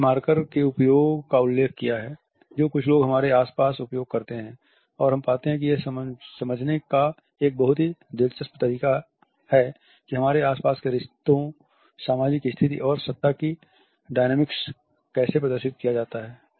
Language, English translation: Hindi, We have referred to the use of markers which some people use around us and we find that it is a very interesting way to understand how the relationships, the status, and power dynamics are displayed around us